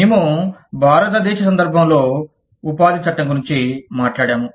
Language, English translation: Telugu, We have talked about, employment law, in the context of India